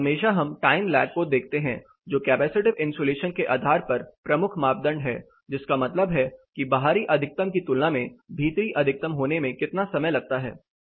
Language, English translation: Hindi, Always we look at time lag, the major parameter that we look at based on capacity isolation is how much time it takes for the maximum to occur compare to the outside maximum